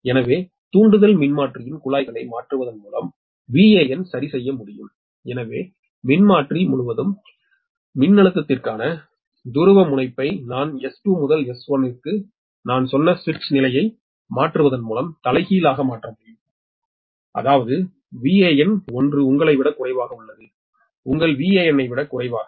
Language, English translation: Tamil, i told you, by changing the taps of excitation transformer, the polarity of the voltage across the series transformer can be made reverse by changing the switch position, i told you, from s two to s one, such that v a n dash is less than your le, less than your ah v a n